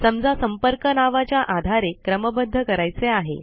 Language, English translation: Marathi, Lets suppose we want to sort contacts by name